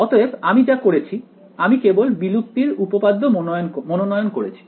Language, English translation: Bengali, So, what I have done is I have chosen only the extinction theorem right